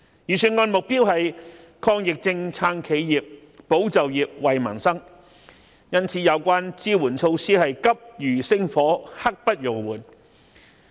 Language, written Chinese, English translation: Cantonese, 預算案以抗疫症、撐企業、保就業、惠民生為目標，因此有關的支援措施是急如星火、刻不容緩。, In order to achieve the Budgets objectives of fighting the epidemic supporting enterprises safeguarding jobs and benefiting peoples livelihood the support measures must be implemented expeditiously without delay